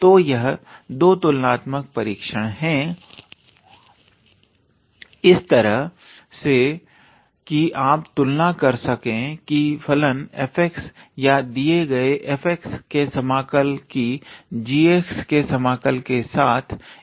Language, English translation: Hindi, So, these are the 2 comparison test in a way where you compare the function f x or the given integral f x integral of f x with integral of g x by this fashion